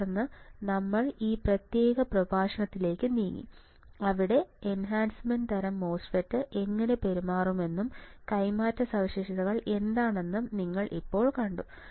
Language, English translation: Malayalam, And then we moved onto the to this particular lecture, where now you have seen how the enhancement type MOSFET would behave and what are the transfer characteristics